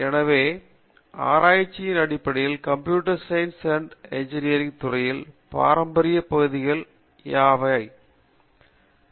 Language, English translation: Tamil, What are considered as traditional areas of research in computer science and engineering